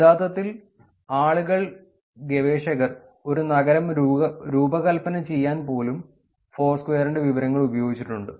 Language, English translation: Malayalam, People have actually used, researchers have used the information of Foursquare to design a city